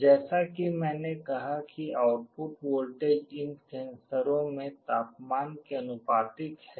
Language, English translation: Hindi, As I said the output voltage is proportional to the temperature in these sensors